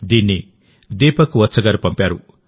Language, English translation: Telugu, It has been sent by Deepak Vats ji